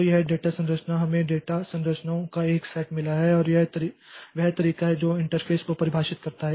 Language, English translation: Hindi, So, this data structure we have got a set of data structures and that way that defines the interface